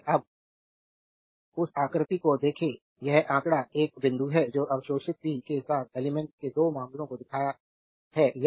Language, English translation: Hindi, Now look at that figure this figure one point it shows 2 cases of element with absorbing power